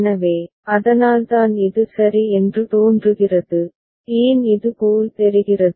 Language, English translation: Tamil, So, that is why it looks something like this ok, why it looks this way